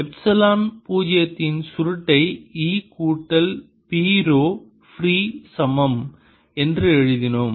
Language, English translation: Tamil, we wrote: curl of epsilon, zero e plus p, was equal to rho free